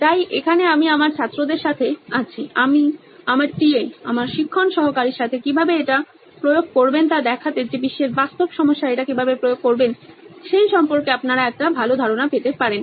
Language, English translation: Bengali, So here I am with my students, my TA my teaching assistant to see how to apply this so that you can get a good idea on how to apply it on a real world problem